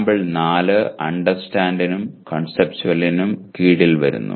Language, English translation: Malayalam, Whereas the sample 4 comes under Understand and Conceptual, okay